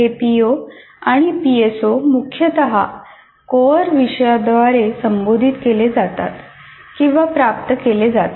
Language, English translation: Marathi, And these POs and PSOs are mainly addressed or attained through core courses